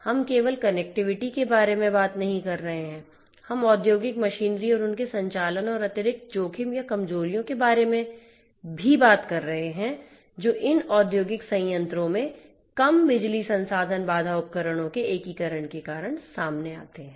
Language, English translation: Hindi, We are not just talking about connectivity, we are also talking about the industrial machinery and their operations and the additional risks or vulnerabilities that come up due to the integration of these low power resource constraint devices in these industrial plants